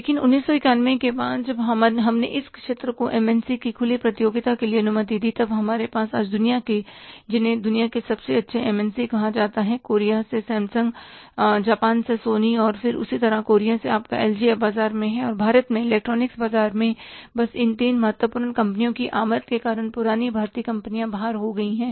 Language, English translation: Hindi, But after 1991, when we allowed this sector for the open competition from the MNCs, then we are now today having, say, best MNCs of the world, maybe Samsung from Korea, Sony from Japan, then similarly your LG from Korea, they are now into the market